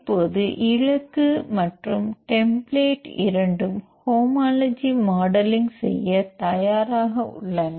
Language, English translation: Tamil, Now target and template both are ready to do the homology modeling